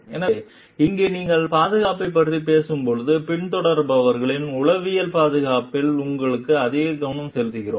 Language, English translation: Tamil, So, here when you are talking of safety, maybe we are focusing more towards the psychological safety of the followers, who are there